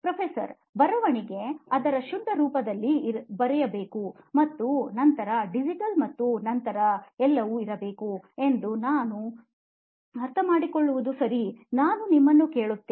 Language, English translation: Kannada, What I understand is that writing has to be writing in its purest form and then maybe digital and all that can come later, okay I hear you